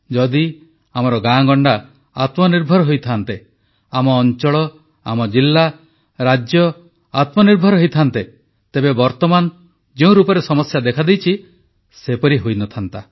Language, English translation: Odia, Had our villages, towns, districts and states been selfreliant, problems facing us would not have been of such a magnitude as is evident today